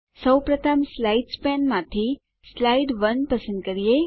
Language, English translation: Gujarati, First, from the Slides pane, lets select Slide 1